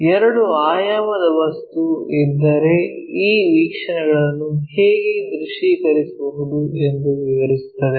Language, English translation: Kannada, If two dimensional objects are present how to visualize these views